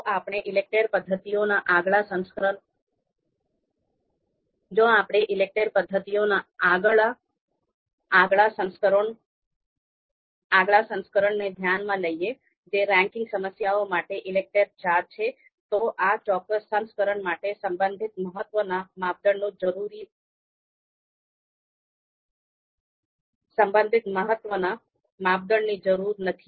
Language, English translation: Gujarati, If we talk about the next version of ELECTRE method the ELECTRE IV for ranking problems, then relative importance criteria is not needed in this particular version